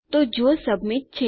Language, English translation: Gujarati, So, if submit